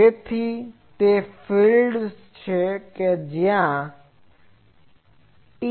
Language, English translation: Gujarati, So, they are TM to that the fields are there